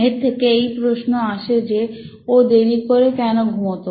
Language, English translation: Bengali, So that begs the question, why was he sleeping late